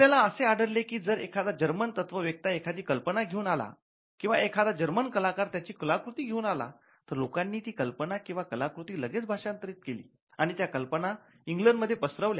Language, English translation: Marathi, So, when you found a new German philosopher coming up with his work or a German artist coming up with this work, you found quickly people translating them and that idea spreading in England